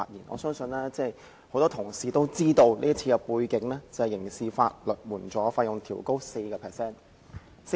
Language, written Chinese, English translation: Cantonese, 我相信很多同事也知道，這項擬議決議案的目的是調高刑事法律援助的費用 4%。, I believe many Honourable colleagues must be aware that the object of the proposed resolution is to adjust criminal legal aid fees upwards by 4 %